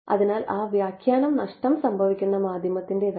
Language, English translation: Malayalam, So, that that interpretation is not of a lossy media right